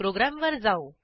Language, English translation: Marathi, Let us see the program